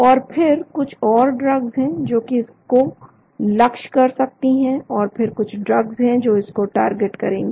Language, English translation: Hindi, And then there are some drugs which may be targeting, this there are some drugs which maybe targeting this